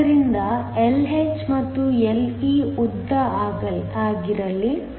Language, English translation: Kannada, So, let Lh and Le be the lengths